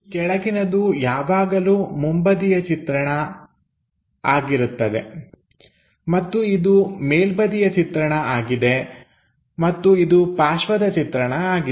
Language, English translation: Kannada, The bottom one always be front view and this is the top view and this is the side view